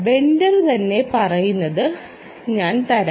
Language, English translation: Malayalam, i will give you what the vendor himself says